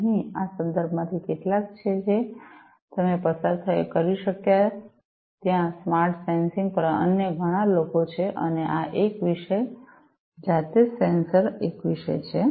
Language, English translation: Gujarati, Here are some of these references that you could go through there are many others on smart sensing and this is a topic by itself sensors are a topic by itself